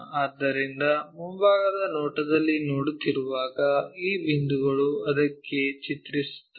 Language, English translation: Kannada, So, when we are looking front view, these points mapped all the way to that one